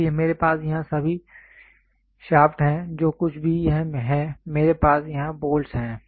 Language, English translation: Hindi, So, I have all the shafts here whatever it is I have the bolts here